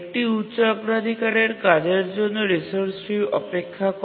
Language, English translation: Bengali, Now a high priority task needs that resource